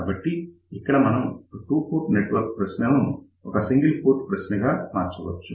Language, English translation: Telugu, So, we can actually convert a two port network problem into a single port problem